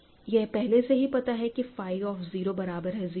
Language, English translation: Hindi, So, suppose so first of all we know that phi of 0 is 0 because ok